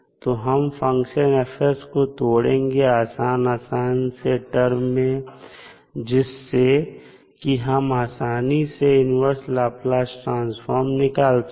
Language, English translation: Hindi, So, when you break the function F s, you will break into simpler terms, so that you can easily find the inverse Laplace transform of F s